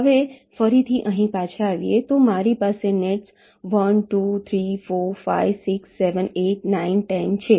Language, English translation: Gujarati, now again going back here, so i have the nets one, two, three, four, five, six, seven, eight, nine, ten